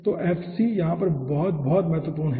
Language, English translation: Hindi, okay, so fc is very, very important over here